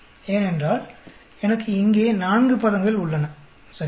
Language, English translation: Tamil, Because I have four terms here, right